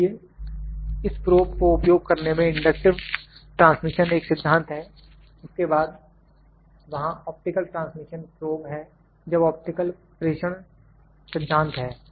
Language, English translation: Hindi, So, inductive or inductive transmission is the principle in using this probe, then optical transmission probe there when optical transmission is the principal